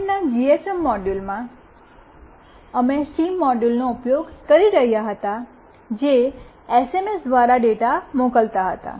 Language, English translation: Gujarati, In previous GSM module, we were using a SIM module that was sending the data through SMS